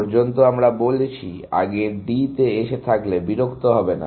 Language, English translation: Bengali, So far, we are saying, if you have come to D before, do not bother